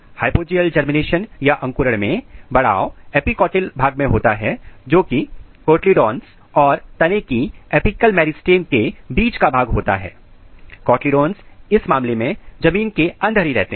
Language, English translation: Hindi, In Hypogeal type of germination, when elongation occurs in the epicotyl region which means the region between the cotyledons and shoot apical meristem, the cotyledons remains below the ground in this case